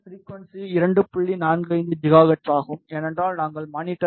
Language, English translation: Tamil, 45 gigahertz, because we have put the monitor at 2